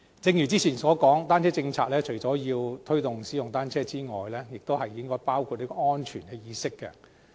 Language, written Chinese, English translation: Cantonese, 正如之前所說，單車友善政策除了推動使用單車之外，也應該包括推動安全意識。, As I said just now apart from promoting the use of bicycles a bicycle - friendly policy should also cover the promotion of a safety awareness